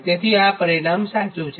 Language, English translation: Gujarati, so this is the resultant, right